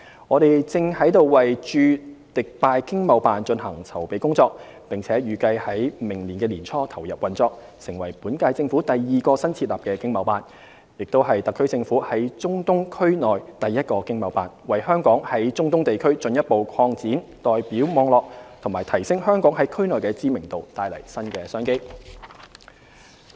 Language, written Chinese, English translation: Cantonese, 我們正為駐迪拜經貿辦進行籌備工作，並預計將於明年年初投入運作，成為本屆政府第二個新設立的經貿辦，亦是特區政府在中東區內第一個經貿辦，為香港在中東地區進一步擴展代表網絡和提升香港在區內的知名度，帶來新的商機。, We are currently engaged in the preparatory work for opening the Dubai ETO which is expected to commence operation early next year . The ETO will become the second ETO set up by the current - term Government and the first in the Middle East region which will further expand our representative network in the region and raise Hong Kongs international visibility . It will also bring immense business opportunities as well